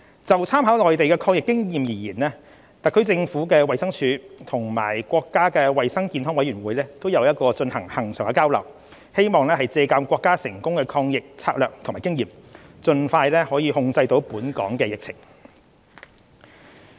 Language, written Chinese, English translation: Cantonese, 就參考內地抗疫的經驗而言，特區政府衞生署和國家衞生健康委員會有進行恆常交流，希望借鑒國家成功抗疫的策略和經驗，盡快控制本港的疫情。, There are regular exchanges between the Department of Health of the HKSAR Government and the National Health Commission on the anti - epidemic experience in the Mainland . By drawing on the Mainlands successful anti - epidemic strategy and experience it is hoped that the epidemic in Hong Kong could be put under control as soon as possible